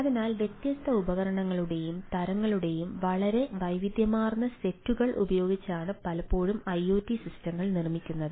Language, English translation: Malayalam, so iot systems are often build using very heterogeneous set of ah different devices and type of things